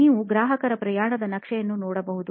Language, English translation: Kannada, You can see the customer journey map